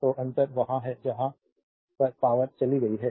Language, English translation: Hindi, So, difference is there where that power has gone